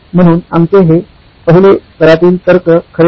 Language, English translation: Marathi, So this our first level of reasoning was true